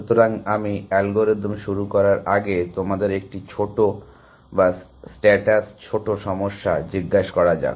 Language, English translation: Bengali, So, before I start the algorithms, let means ask you one small or status small problem